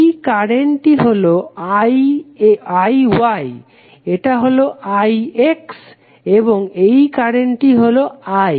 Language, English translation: Bengali, This current is I Y, this is I X and this current is I